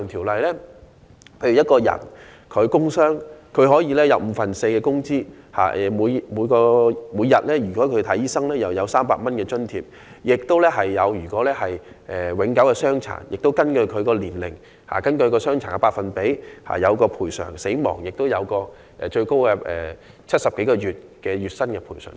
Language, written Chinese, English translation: Cantonese, 舉例而言，僱員工傷可享五分之四的工資；如看醫生，每天可享300元津貼；如永久傷殘，便根據他的年齡及傷殘的百分比獲得賠償；若員工因工死亡，最高可獲70多個月薪金的賠償。, For example an employee who suffers a work injury is entitled to an allowance equivalent to four fifths of his wage and a medical allowance of 300 each day; in case of permanent disability the compensation payable will be calculated with reference to his age and percentage of disability; if an employee dies in the course of employment the compensation for death can be up to more than 70 months of earnings